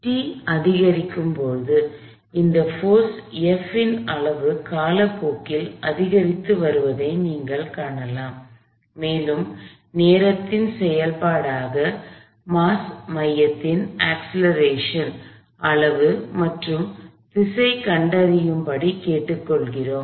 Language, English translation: Tamil, As t increases, you can see that the magnitude of this force F is increasing with time and we are asked to find, the magnitude direction of the acceleration of the mass center as a function of time